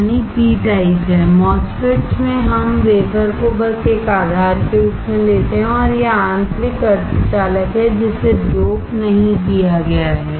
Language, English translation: Hindi, In MOSFETs we take the wafer just as a base and that is the intrinsic semi conductor not doped